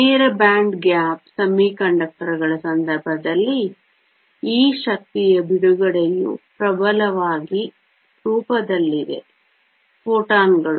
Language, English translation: Kannada, In the case of direct band gap semiconductors this energy release is dominantly in the form of photons